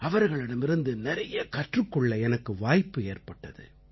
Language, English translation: Tamil, I have learnt a lot from them